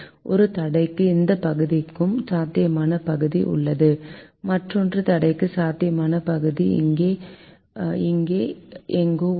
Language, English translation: Tamil, for one constraint we have, this portion has feasible region and for the other constraint the feasible region is somewhere here